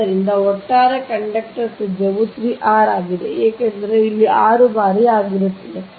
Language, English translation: Kannada, so the overall conductor radius is three r, because from here this is six times